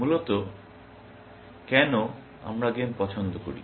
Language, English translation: Bengali, Essentially why do we like games